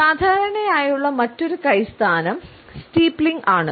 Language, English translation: Malayalam, Another commonly held hand position is that of steepling